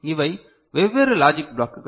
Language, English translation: Tamil, So, these are the different logic blocks